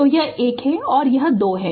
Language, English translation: Hindi, So, this is 1 this is 2